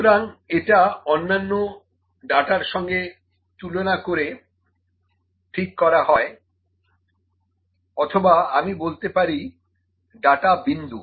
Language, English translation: Bengali, So, it is in relation to I would say in comparison to other data, ok or I call it data points